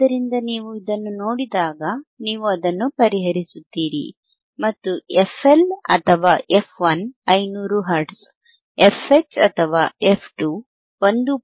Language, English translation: Kannada, So, when you see this, you solve it and you will find that f HL or f 1 is 500 hertz, fH or f 2 is 1